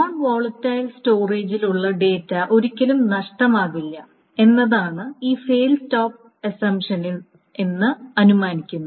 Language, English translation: Malayalam, This is called a fail stop assumption because what it is being assumed in this fail stop assumption is that data that is on a non volatile storage is never lost